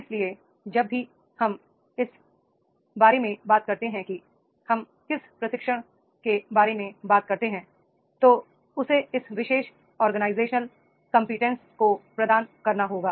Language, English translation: Hindi, So, therefore whenever we talk about the what is training, in the training we talk about that is the he, it has to be provide this particular organizational competence is to be there